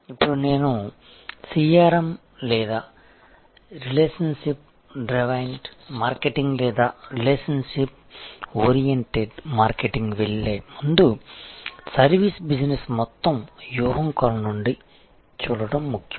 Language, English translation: Telugu, Now, before I get on to CRM or this whole philosophy of relationship driven marketing or relationship oriented marketing, it is important to see it in the perspective of the overall strategy of the service business